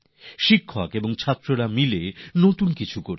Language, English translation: Bengali, The students and teachers are collaborating to do something new